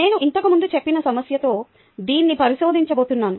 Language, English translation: Telugu, i am going to demonstrate this with a problem that i mentioned earlier